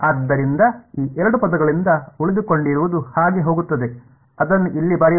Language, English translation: Kannada, So, from these two terms what survives is going to so, let us write it down over here